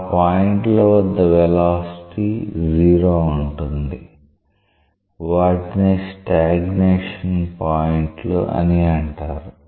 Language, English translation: Telugu, The points are where the velocities are 0; those points are known as stagnation points